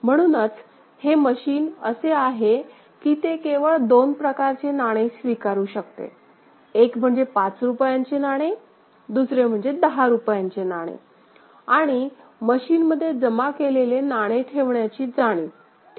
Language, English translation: Marathi, So, that is what you have seen here and the machine is such that it can accept only 2 types of coin; one is that is of rupees 5 coin, another is of rupees 10 coin and to sense the deposit of coin; the coin that is deposited in the machine ok